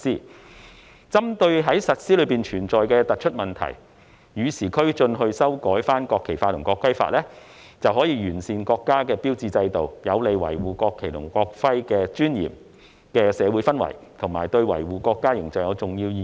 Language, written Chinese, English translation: Cantonese, 為與時俱進，針對實施中存在的突出問題修改《國旗法》及《國徽法》，能完善國家標誌制度，有利營造維護國旗及國徽尊嚴的社會氛圍，對維護國家的形象有重要意義。, The amendments to the National Flag Law and the National Emblem Law targeting on addressing the prominent problems encountered in their implementation are in order to keep pace with the times as well meant to improve the national emblem system which is conducive to creating a social atmosphere for upholding the dignity of the national flag and national emblem and is of great significance in protecting the image of our country